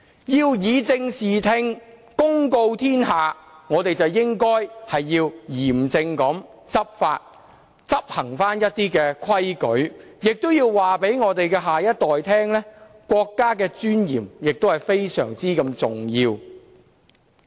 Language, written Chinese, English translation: Cantonese, 要以正視聽，公告天下，我們便應嚴正執法，執行規矩，亦要告訴我們的下一代，國家尊嚴是非常重要的。, To set the record straight and strike home the message we should strictly enforce the law and the rules . We should also tell our next generation that the dignity of the country matters much